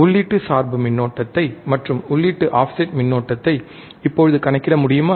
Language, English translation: Tamil, Can you now calculate input bias current and input offset current